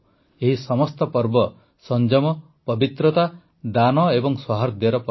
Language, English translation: Odia, All these festivals are festivals of restraint, purity, charity and harmony